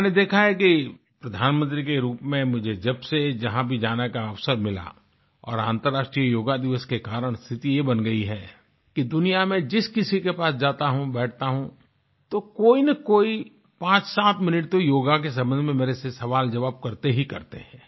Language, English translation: Hindi, I have seen that whenever I have had the opportunity to go as Prime Minister, and of course credit also goes to International Yoga Day, the situation now is that wherever I go in the world or interact with someone, people invariably spend close to 57 minutes asking questions on yoga